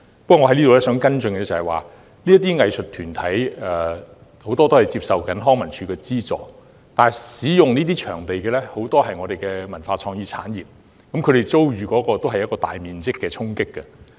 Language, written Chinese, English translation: Cantonese, 不過，我提出的跟進質詢是，不少藝術團體正在接受康文署的資助，但這些場地的使用者，也有不少來自我們的文化創意產業，我們同樣遭受大規模的衝擊。, Putting this aside though my supplementary question is Given that while some arts groups are receiving subvention from LCSD many users of these venues come from our cultural and creative industries who are likewise suffering from the large - scale impact has the Government considered providing support for the cultural and creative industries in other aspects?